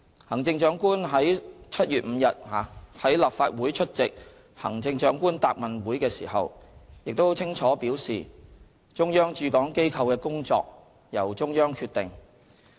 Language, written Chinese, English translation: Cantonese, 行政長官剛於7月5日到立法會出席行政長官答問會時，亦清楚表示，中央駐港機構的工作由中央決定。, When addressing Members at the Chief Executives Question and Answer Session held on 5 July the Chief Executive made it very clear that the work of the offices set up by the Central Government in HKSAR is determined by the Central Authorities